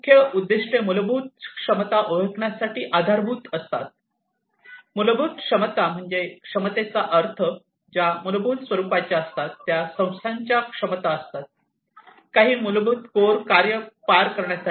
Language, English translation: Marathi, The key objectives are basis for the identification of fundamental capabilities, fundamental capabilities means the capabilities, which are fundamental in nature, which are the abilities of the organization to perform certain basic core functions